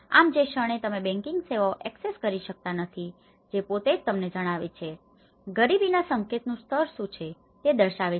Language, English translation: Gujarati, So, the moment if you are not access to the banking services that itself tells you know, what is the level of the poverty indication